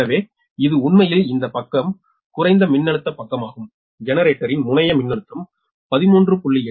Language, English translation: Tamil, so it is actually this side, low voltage side, the terminal voltage of generator